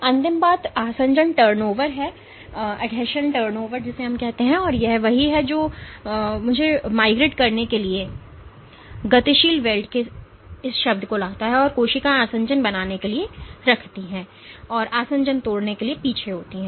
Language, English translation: Hindi, Last thing is adhesion turnover and that is what brings me to this term of dynamic welds in order to migrate, the cells keep to form adhesions and break adhesions are the rear